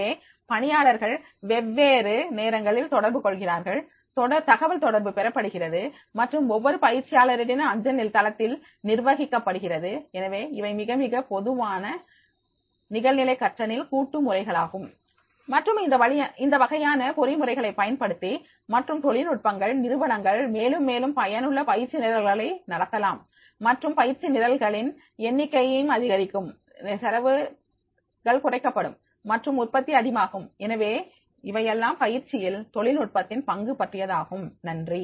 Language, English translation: Tamil, So trainee communicate at different times communications are received and managed at each trainee's mail site and therefore these are the the very very common ways of collaboration in online learning and by the use of these type of these mechanisms and techniques the organizations can conduct more and more effective training programs and number of training programs will also increase the cost saving will be there and the productivity will be high